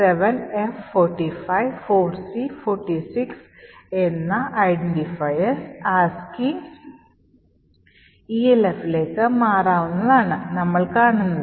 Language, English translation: Malayalam, So as seen this is the identifier 7f 45 4c 46 which actually transforms to elf in ASCII